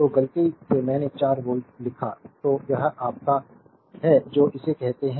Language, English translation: Hindi, So, by mistake I wrote 4 volt so, it is your what you call this